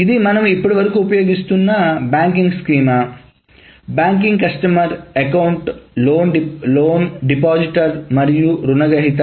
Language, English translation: Telugu, So this is the banking schema that we have been using so far, the branch, customer, account, loan, deposited and borrower